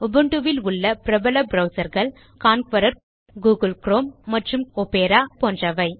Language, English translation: Tamil, Some examples of other popular web browsers for Ubuntu are Konqueror, Google Chrome and Opera